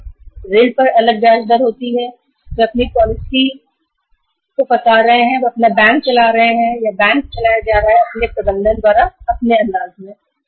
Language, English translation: Hindi, They are framing their own policy they are running their their bank or the bank is being run by its management in its own style